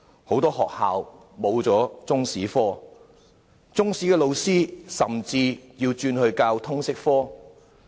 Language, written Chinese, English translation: Cantonese, 很多學校沒有獨立的中史科，中史老師甚至轉教通識科。, Chinese History has not been taught as an independent subject in many schools and Chinese History teachers have to teach Liberal Studies instead